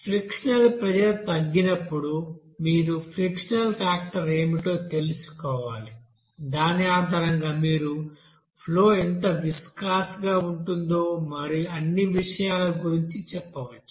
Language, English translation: Telugu, That whenever there will be frictional pressure drop now you have to you know, know what should be the friction factor based on which you can say that, that flow will be how viscous and all those things